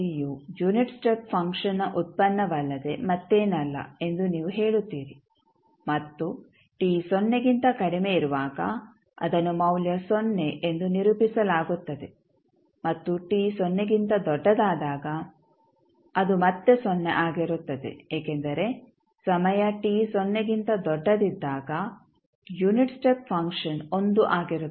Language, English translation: Kannada, You will say delta t is nothing but derivative of unit step function and it is represented as value 0 when t less than 0 and it is again 0 when t greater than 0 because the unit step function at time t greater than 0 is 1